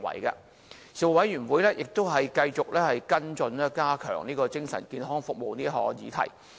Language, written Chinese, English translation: Cantonese, 事務委員會亦繼續跟進加強精神健康服務這項議題。, The Panel continued to follow up the issue concerning the enhancement of mental services